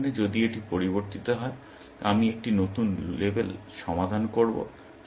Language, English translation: Bengali, In this example, if this has changed, I will get a new label solved